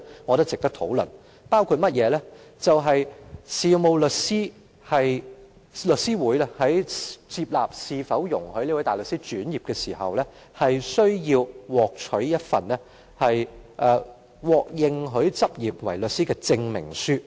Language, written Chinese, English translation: Cantonese, 我認為這是值得討論的，其中包括香港律師會在考慮是否容許一名大律師轉業時，會要求申請人取得一份獲認許執業為律師的證明書。, I think it is worth discussing . The Law Society of Hong Kong when considering whether a barrister is allowed to become a solicitor requires the applicant to apply for a certificate of eligibility for admission as a solicitor